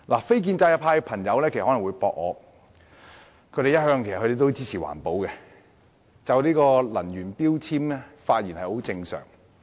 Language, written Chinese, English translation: Cantonese, 非建制派的朋友可能會反駁，他們一向支持環保，所以就能源標籤發言亦屬正常。, The non - establishment colleagues might refute that they always support environmental protection so it is only normal for them to speak on energy efficiency labelling